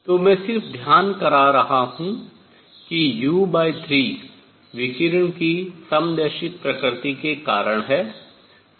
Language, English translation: Hindi, So, let me just point out u by 3 is due to isotropic nature of radiation